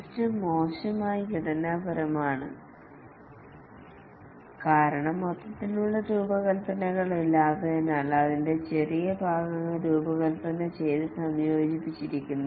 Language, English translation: Malayalam, The system is poorly structured because there is no overall design made, it's only small parts that are designed and integrated